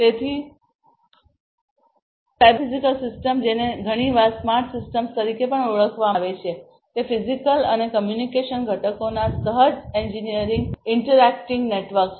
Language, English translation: Gujarati, So, cyber physical system also often known as smart systems are co engineered interacting networks of physical and computational components